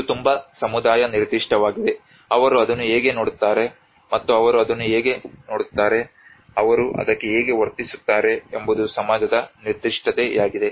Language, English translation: Kannada, It is very community specific, it is also society specific how they look at it how they see it how they behave to it